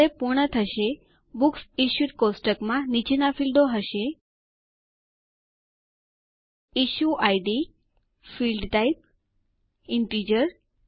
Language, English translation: Gujarati, When done, the Books Issued table will have the following fields: Issue Id, Field type Integer